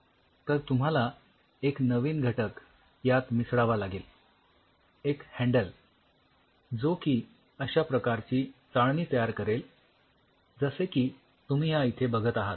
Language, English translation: Marathi, So, you have to introduce another new component, a handle which will create this kind of mesh now you look at it